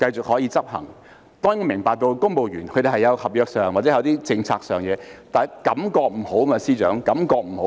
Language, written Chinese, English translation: Cantonese, 我們當然明白公務員會有期望，也有合約或政策上的事務，但感覺不好，司長，感覺不好。, We certainly understand that civil servants have expectations and this has something to do with contracts or policies but the perception of the public is not good . FS the perception is not good